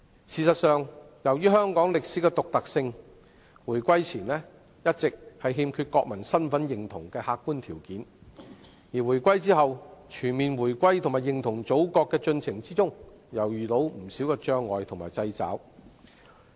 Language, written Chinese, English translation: Cantonese, 事實上，由於香港在歷史上的獨特性，回歸前一直欠缺國民身份認同的客觀條件；回歸後，在促進全面回歸和認同祖國的進程中又遇到不少障礙和掣肘。, In fact due to the historical uniqueness of Hong Kong there had been a lack of objective conditions to nurture national identity before the reunification; and after the reunification the process of full reunification and identification with the Mainland was again impeded by numerous barriers and constraints